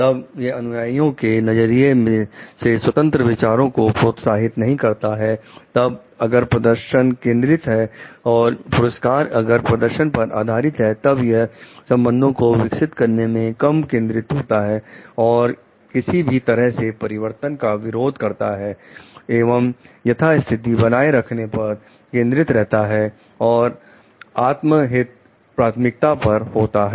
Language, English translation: Hindi, Then it does not encourage independent thinking on part of the follower, then it is a performance is the focus and the rewards are based on the performance then it is a less focus on developing the relationship and it is a resistance to change and focuses on maintaining the status quo and self interest is primary